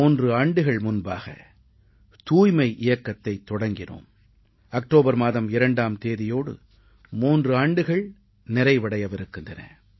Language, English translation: Tamil, The campaign for Cleanliness which was initiated three years ago will be marking its third anniversary on the 2nd of October